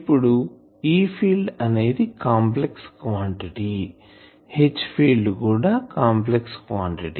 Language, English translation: Telugu, Now, E field is a complex quantity, H field is a complex quantity